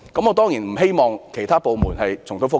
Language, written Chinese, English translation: Cantonese, 我當然不希望其他部門重蹈覆轍。, I certainly hope that other government departments will not repeat the same mistake